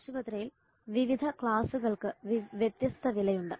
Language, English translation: Malayalam, There are different prices for different classes in the hospital